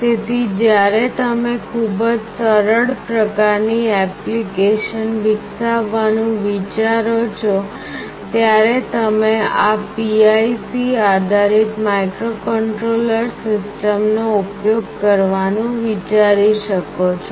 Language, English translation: Gujarati, So, when you think of the developing very simple kind of applications, you can think of using PIC based microcontroller systems